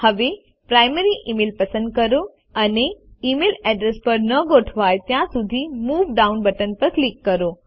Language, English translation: Gujarati, Now, select Primary Email, and click on the Move Down button until it is aligned to E mail Address